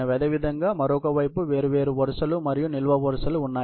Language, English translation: Telugu, Similarly, there are different rows and columns on the other side